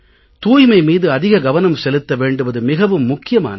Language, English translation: Tamil, And cleanliness should be given great importance